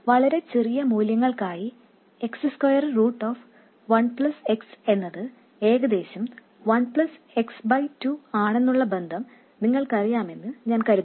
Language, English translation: Malayalam, I assume you know this relationship for very small values of x, square root of 1 plus x is approximately 1 plus x by 2